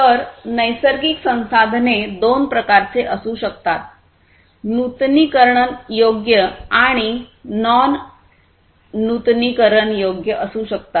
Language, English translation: Marathi, So, natural resources can be of two types, the renewable ones and the non renewable ones